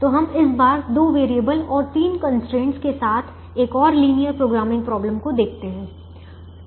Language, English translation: Hindi, so we look at another linear programming problem, this time with two variables and three constraints